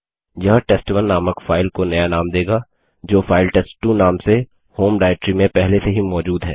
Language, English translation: Hindi, This will rename the file named test1 which was already present in the home directory to a file named test2